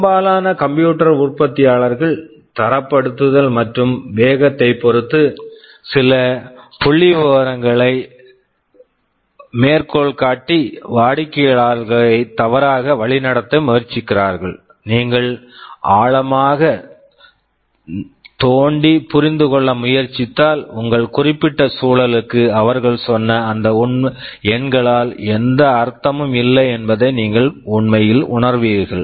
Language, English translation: Tamil, Most of the computer manufacturers try to mislead the customers by quoting some figures with respect to benchmarking and speeds, which if you dig deeper and try to understand, you will actually feel that for your particular environment those numbers make no sense